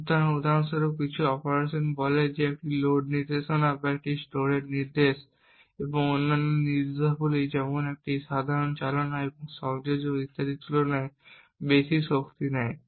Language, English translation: Bengali, So for example some operations say a load instruction or a store instruction would take considerably more power compared to other instructions such as a simple move or an addition and so on